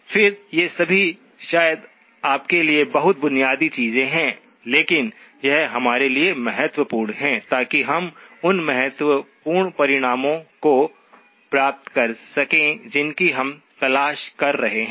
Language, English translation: Hindi, Again, these are all probably very basic things for you but it is important for us so that we can derive the key results that we are looking for